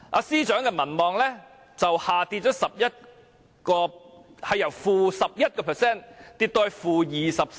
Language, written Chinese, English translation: Cantonese, 司長的民望由 -11% 下跌至 -24%。, The popularity of the Financial Secretary also drops from - 11 % to - 24 %